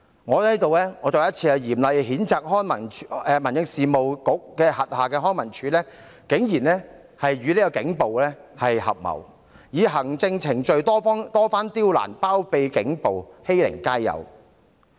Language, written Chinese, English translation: Cantonese, 我在此再次嚴厲譴責民政事務局轄下的康文署竟然與警暴合謀，以行政程序多番刁難，包庇警暴，欺凌街友。, Here I severely censure LCSD under the Home Affairs Bureau again for blatantly collaborating with the Police repeatedly making things difficult through administrative procedures shielding police violence and bullying street sleepers